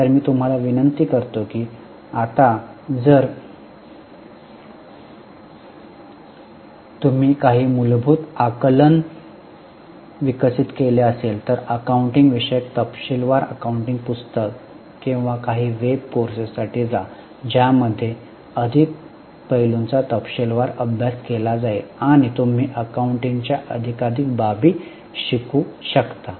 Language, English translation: Marathi, So, what I would request you is, now if you have developed some basic understanding, go for a detailed accounting book or some other web courses in accounting wherein more aspects would be detailed, would be discussed and you can learn more and more aspects of accounting